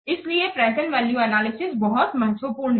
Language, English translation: Hindi, So present value analysis is very much important